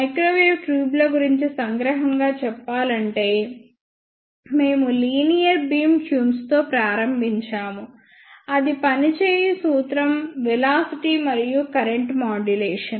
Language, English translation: Telugu, Just to summarize in microwave tubes we started with a linear beam tubes in which the working principle is velocity and current modulation